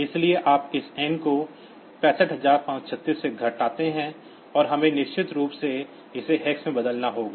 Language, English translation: Hindi, So, you subtract this n from 65536, and we have to definitely you need to convert to hex